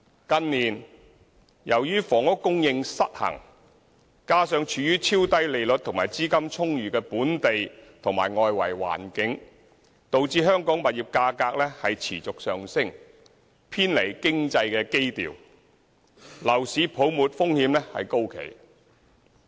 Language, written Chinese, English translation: Cantonese, 近年由於房屋供求失衡，加上處於超低利率和資金充裕的本地和外圍環境，導致香港物業價格持續上升，偏離經濟基調，樓市泡沫風險高企。, In recent years due to the housing demand - supply imbalance coupled with ultra - low interest rates and abundant liquidity in the domestic and external environment property prices in Hong Kong have been on the rise and out of line with economic fundamentals with heightened risks of a bubble